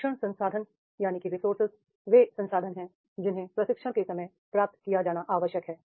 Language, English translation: Hindi, Training resources are the resources which are required to be provided at the time of the training